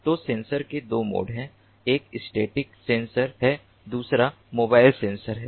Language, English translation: Hindi, one is the static sensor, the other one is mobile sensor